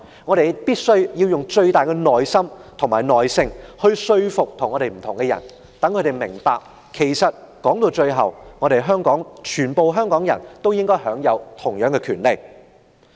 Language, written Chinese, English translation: Cantonese, 我們必須用最大的耐性，說服那些意見跟我們不同的人，讓他們明白到，其實每一位香港人也應可享有同樣的權利。, Instead we must exercise the greatest patience to convince people holding views different from ours that every single person in Hong Kong should be entitled to equal rights